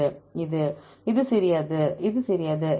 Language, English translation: Tamil, This This is small, this is small